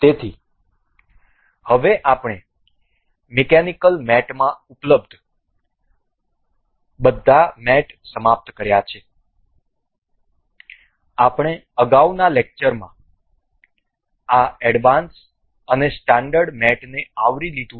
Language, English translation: Gujarati, So, now we have finished all the mates available in mechanical mates, we have also covered this advanced and standard mates in previous lectures